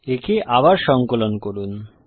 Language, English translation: Bengali, Let me compile it again